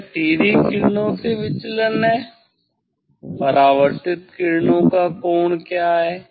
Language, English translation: Hindi, that is the deviation from direct rays what is the angle of what is the angle of the reflected rays